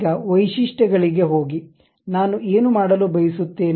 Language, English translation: Kannada, Now, go to Features; what I want to do